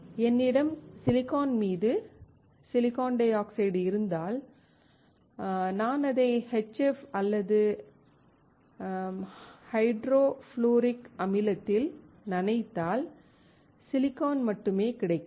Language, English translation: Tamil, If I have a silicon dioxide on silicon and if I dip it in HF or buffer hydrofluoric acid, we will find only silicon